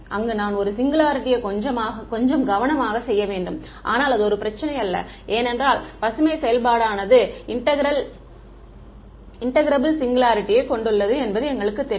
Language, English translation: Tamil, There I have to do the singularity little bit carefully, but it is not a problem because is Green’s function we know has an integrable singularity